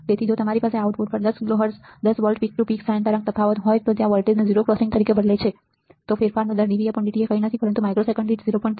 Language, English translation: Gujarati, So, if you have a 10 kilo Hertz 10 volt peak to peak sine wave right diff on the output the fastest point at which the voltage changes it as the 0 crossing, the rate of change dV by dt is nothing, but 0